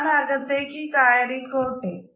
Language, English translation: Malayalam, Can I get in here please